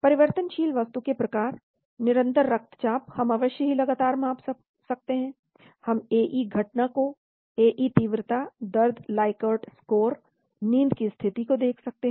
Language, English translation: Hindi, Types of variable: continuous blood pressure we can measure continuously of course, we can look at AE occurrence, AE severity, pain likert score, sleep state